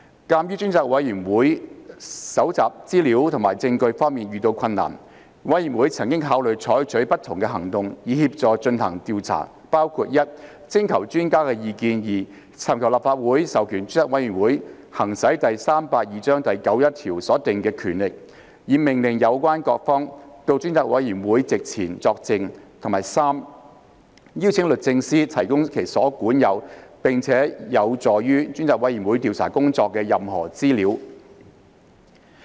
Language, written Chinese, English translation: Cantonese, 鑒於專責委員會在搜集資料和證據方面遇到困難，委員曾考慮採取不同行動，以協助進行調查，包括：第一，徵求專家意見；第二，尋求立法會授權專責委員會行使第382章第91條所訂的權力，以命令有關各方到專責委員會席前作證；及第三，邀請律政司提供其所管有並有助專責委員會調查工作的任何資料。, Given the difficulties encountered by the Select Committee in gathering information and evidence members have considered various actions for assisting the Select Committee in its inquiry including first seeking specialist advice; second seeking the Councils authorization for the Select Committee to exercise the powers under section 91 of Cap . 382 to order concerned parties to attend before the Select Committee to give evidence; and third inviting the Department of Justice to provide any information in its possession that could assist the Select Committees inquiry